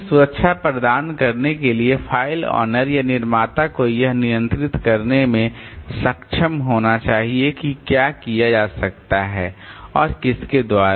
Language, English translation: Hindi, Then to provide the protection so file owner or creator should be able to control what can be done and by whom